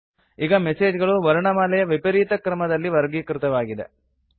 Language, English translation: Kannada, The messages are now sorted in an alphabetical order